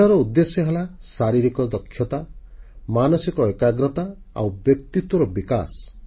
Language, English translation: Odia, Sports means, physical fitness, mental alertness and personality enhancement